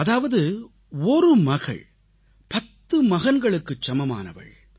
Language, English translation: Tamil, This means, a daughter is the equivalent of ten sons